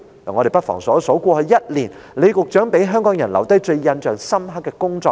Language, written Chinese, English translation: Cantonese, 我們不妨細數過去1年李局長讓香港人印象最深刻的工作。, It is not a bad idea to enumerate the tasks performed by Secretary LEE in the past year that are most deeply engraved in the minds of Hong Kong people